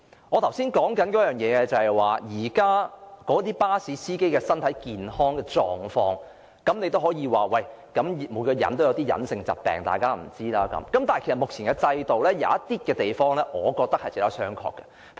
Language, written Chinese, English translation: Cantonese, 我剛才說到巴士司機的身體健康狀況，有人可能會說每個人或有一些別人不知道的隱疾；但其實目前的制度中有一些規定，我認為值得商榷。, Just now I talked about the health conditions of bus drivers and some people may say that every person may have some hidden health conditions not known to other people but in the current system there are some requirements which I think are open to question